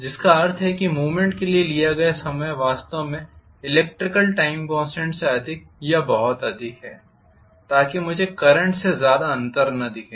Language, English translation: Hindi, Which means the time taken for movement is actually greater than or much higher than the electrical time constant